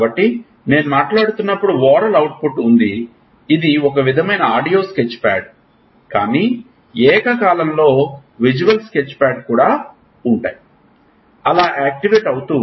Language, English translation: Telugu, So, when I am talking there is oral output, which is a sort of audio sketchpad, but simultaneously there is also a visual sketchpad which is also getting activated